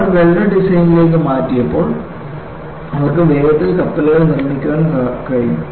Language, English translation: Malayalam, When they switched over to welded design, they could quickly make the ships